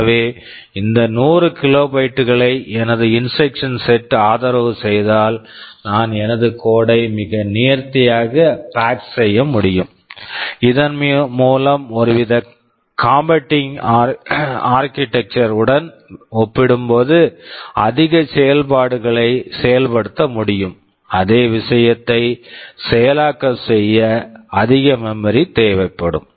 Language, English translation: Tamil, So, if my instruction set supports that in this 100 kilobytes, I can pack my code very nicely, so that I can implement more functionality greater functionality as compared with some kind of competing architecture where a much more memory would be required to implement the same thing